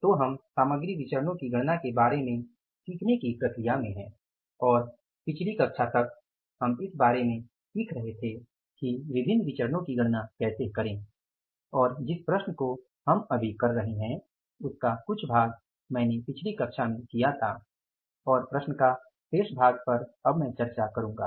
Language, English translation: Hindi, So, we are in the process of learning about the calculation of material variances and till the last class we were learning about that how to calculate different variances and the problem which we are doing now is part of the problem I did in the previous class and remaining say part of the problem I will discuss now